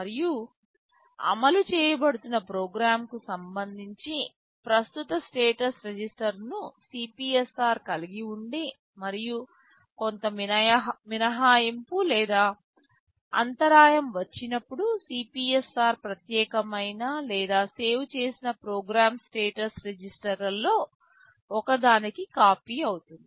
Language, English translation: Telugu, And CPSR holds the current status register with respect to the program that is being executed, and whenever some exception or interrupt comes, the CPSR gets copied into one of the special or saved program status registers SPSRs